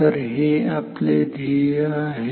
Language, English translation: Marathi, So, this is the goal